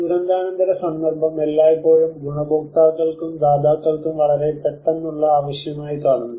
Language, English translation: Malayalam, The post disaster context is always seen a very immediate need for both the beneficiaries and the providers